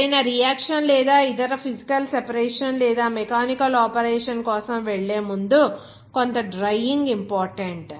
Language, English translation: Telugu, Before going for any reaction or any other physical separation or mechanical operation, some drying is important